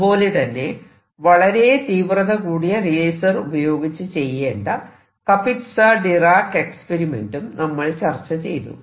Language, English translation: Malayalam, And I have also talked about Kapitsa Dirac proposal which has been performed with high intensity lasers